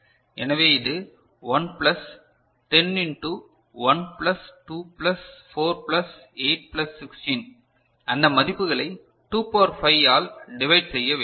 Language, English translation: Tamil, So, this is 1 plus 10 into 1 plus 2 plus 4 plus 8 plus 16 right your putting those values divided by 2 to the power 5